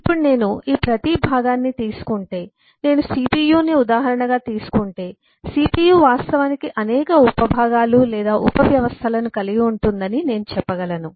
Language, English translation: Telugu, now if I take eh each one of these components, say, just as an example, I take eh the cpu, then I can say that the cpu actually comprise a number of sub components or sub systems